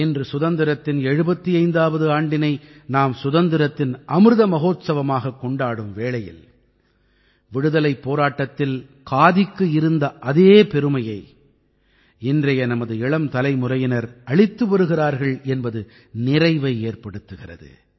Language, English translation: Tamil, Today in the 75 th year of freedom when we are celebrating the Amrit Mahotsav of Independence, we can say with satisfaction today that our young generation today is giving khadi the place of pride that khadi had during freedom struggle